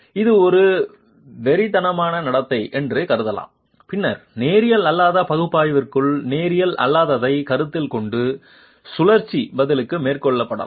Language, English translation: Tamil, This can also be considered as a hysteric behavior and then cyclic response also can be carried out considering non linear, within a non linear analysis